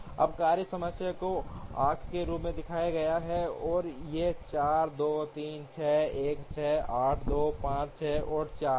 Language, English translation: Hindi, Now, the task times are shown as the arcs, and these are 4, 2, 3, 6, 1, 6, 8, 2, 5, 6 and 4